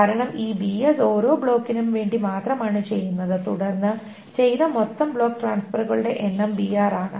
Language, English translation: Malayalam, Because this BS is being done for each block only, and then the total number of block transfer that is done is BR